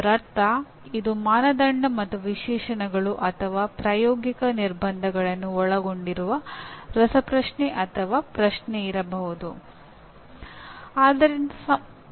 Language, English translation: Kannada, That means there could be a quiz or a question that involves Criteria and Specifications or Practical Constraints